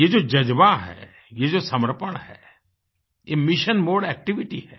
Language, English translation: Hindi, This spirit, this dedication is a mission mode activity